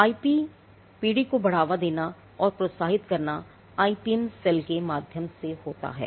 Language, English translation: Hindi, Promoting and encouraging IP generation is quite lot of promotion and advocacy that happens through the IPM cell